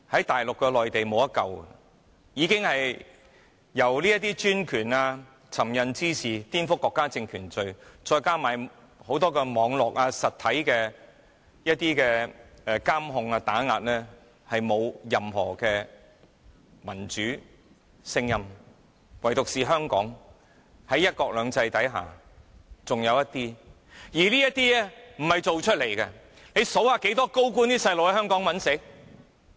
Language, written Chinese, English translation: Cantonese, 大陸內地已經無法挽救，已經因為專權、這些尋釁滋事和顛覆國家政權罪，再加上很多網絡、實體監控和打壓，而沒有任何民主聲音，唯獨是香港，在"一國兩制"之下還剩餘一些民主聲音，而這些不是裝出來的。, The Mainland is already hopeless without any democratic voices because of the autocratic rule the offences of picking quarrels and provoking troubles and subverting state power as well as Internet and physical monitoring and repression . But for Hong Kong alone there are still some remaining democratic voices under one country two systems and these cannot be feigned